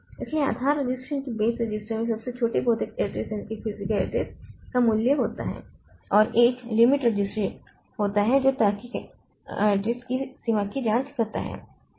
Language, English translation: Hindi, So, base register contains the value of smallest physical address and there is a limit register that checks the range of logical address